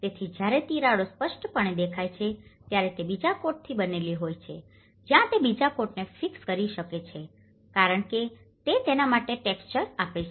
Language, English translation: Gujarati, So, when the cracks have appeared obviously they are made of a second coat that is where it can fix the second coat because it gives a texture for it